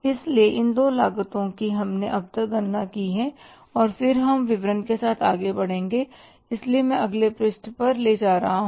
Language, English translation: Hindi, So, these two costs we have calculated so far and then we will be moving ahead with the statement